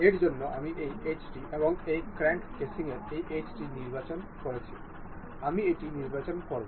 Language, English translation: Bengali, For this, I am selecting this edge and this edge of this crank casing, I will select it ok